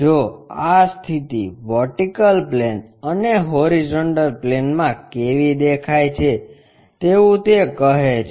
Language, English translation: Gujarati, If that is the case how these views really look like on vertical plane and horizontal plane